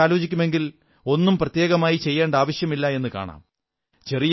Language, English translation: Malayalam, If you'll start paying attention to it, you will see that there is no need to do anything extraordinary